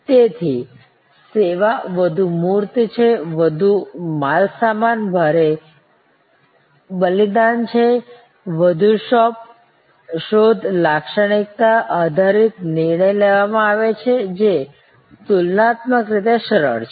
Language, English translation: Gujarati, So, more tangible is the service, the more goods heavy is the offering, the more search attribute based decision making taking place which is comparatively easier